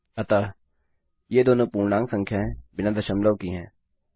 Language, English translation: Hindi, So, these are both integer numbers with no decimal point